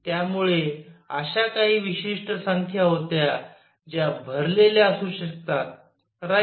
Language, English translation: Marathi, So, there were certain number that could be filled right